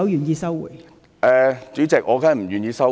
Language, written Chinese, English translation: Cantonese, 代理主席，我當然不願意收回。, Deputy President of course I am not willing to withdraw it